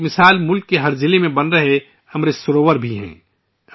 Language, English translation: Urdu, An example of this is the 'AmritSarovar' being built in every district of the country